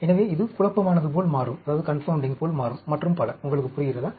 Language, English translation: Tamil, So, this will become like a confounding; do you understand